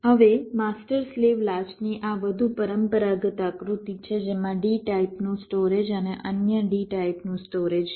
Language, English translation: Gujarati, so this is the more conventional diagram of a master slave latch consisting of a d type storage and another d type storage